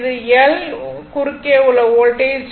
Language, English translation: Tamil, This is L that is voltage across L